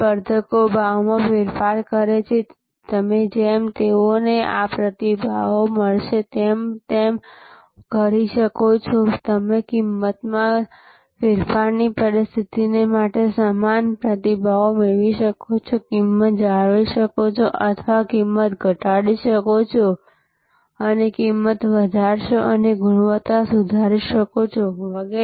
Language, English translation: Gujarati, So, competitors price change, you can just like they will have these responses, you can have the similar responses to a price change scenario, maintain price or reduce price and increase price and improve quality, etc